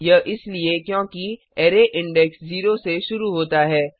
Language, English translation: Hindi, This is because array index starts from 0